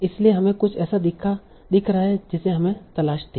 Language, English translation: Hindi, So we see something that we were looking for